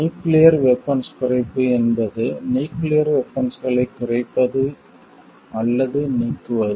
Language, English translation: Tamil, Nuclear disarmament is a act of reducing, or eliminating nuclear weapons